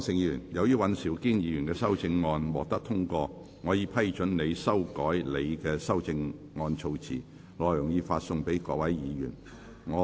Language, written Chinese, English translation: Cantonese, 柯創盛議員，由於尹兆堅議員的修正案獲得通過，我已批准你修改你的修正案措辭，內容已發送各位議員。, Mr Wilson OR as the amendment of Mr Andrew WAN has been passed I have given leave for you to revise the terms of your amendment as set out in the paper which has been issued to Members